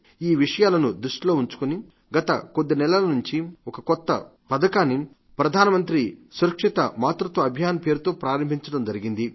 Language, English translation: Telugu, Keeping in view these issues, in the last few months, the Government of India has launched a new campaign 'Prime Minister Safe Motherhood Campaign'